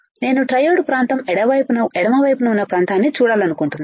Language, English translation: Telugu, Now, I want to see triode region triode region right the region on the left side